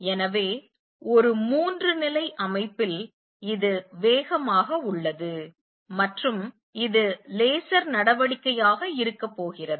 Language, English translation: Tamil, So, in a three level system this is fast and this is going to be laser action